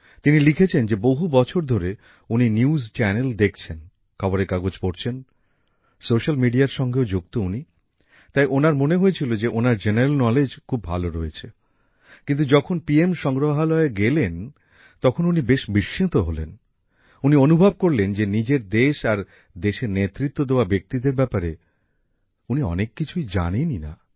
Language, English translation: Bengali, He has written that for years he has been watching news channels, reading newspapers, along with being connected to social media, so he used to think that his general knowledge was good enough… but, when he visited the PM Museum, he was very surprised, he realized that he did not know much about his country and those who led the country